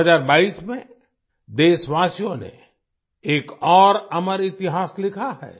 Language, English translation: Hindi, In 2022, the countrymen have scripted another chapter of immortal history